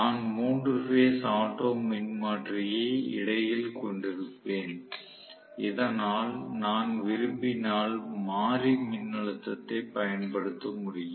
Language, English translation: Tamil, So, I am going to have actually a 3 phase auto transformer sitting in between so that I will able to apply variable voltage if I want to